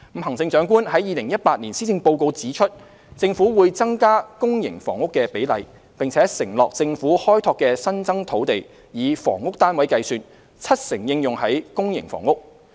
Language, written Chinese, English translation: Cantonese, 行政長官在2018年施政報告指出，政府會增加公營房屋的比例，並承諾政府開拓的新增土地，以房屋單位計算，七成應用於公營房屋。, As stated in the Chief Executives 2018 Policy Address the Government would increase the ratio of public housing and committed that 70 % of housing units on the Governments newly developed land would be for public housing